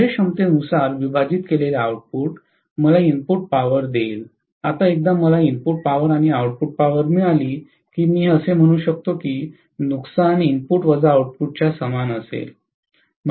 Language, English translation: Marathi, Whatever is the output divided by efficiency will give me the input power, now once I get the input power and output power I can say losses will be equal to input minus output, right